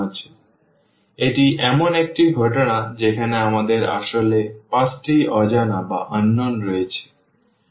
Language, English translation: Bengali, So, this is a case where we have 5 unknowns actually